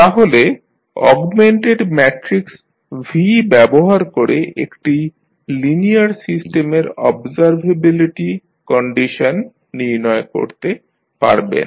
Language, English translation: Bengali, So, using the augmented matrices that is V, you can find out the observability condition of linear a system